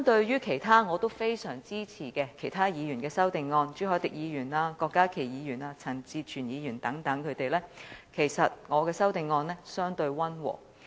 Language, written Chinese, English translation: Cantonese, 與我非常支持的其他議員如朱凱廸議員、郭家麒議員和陳志全議員等提出的修正案相比，其實我的修正案相對溫和。, Compared to the amendments proposed by other Members whom I greatly support such as Mr CHU Hoi - dick Dr KWOK Ka - ki and Mr CHAN Chi - chuen my amendment is actually relatively mild